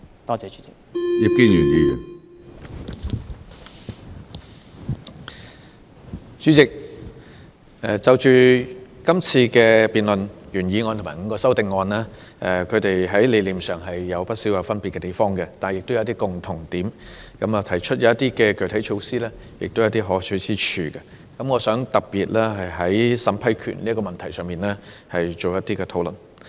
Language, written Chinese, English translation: Cantonese, 主席，是項辯論所涉及的原議案和5個修正案，在理念上有不少分別，但亦有一些共通點，所提出的一些具體措施也有可取之處。我想特別就審批權這問題作一討論。, President there are quite a number of differences in the concepts contained in the original motion and its five amendments under discussion in this debate but they do share some common points and I also see the merits of some measures proposed